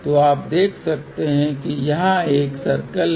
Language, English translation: Hindi, So, you can see there is a this circle here